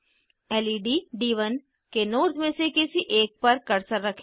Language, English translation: Hindi, Keep the cursor over one of the nodes of LED D1